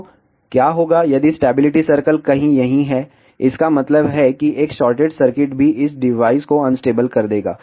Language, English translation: Hindi, So, what will happen if the stability circle is somewhere here that means, that even a short circuit will make this device unstable